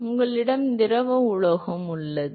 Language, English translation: Tamil, So, you have a liquid metal which is presents